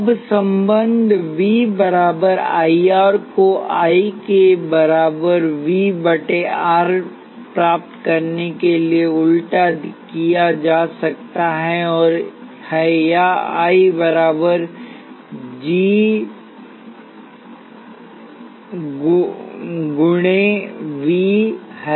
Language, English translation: Hindi, Now, the relationship V equals I R can be inverted to get I equals V by R or I equals G times V